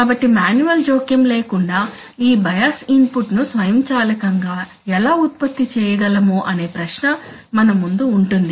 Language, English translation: Telugu, So that brings us to the question that how can we automatically generate this bias input without any manual intervention